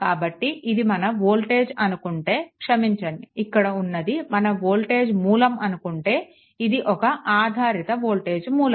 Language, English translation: Telugu, So, if volt if your sorry if your this thing this is the voltage source dependent voltage source right